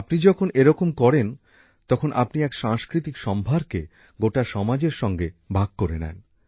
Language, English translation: Bengali, When you do this, in a way, you share a cultural treasure with the entire society